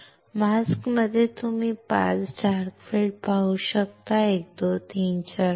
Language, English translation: Marathi, In the mask what you can see 5 dark areas 1 2 3 4 5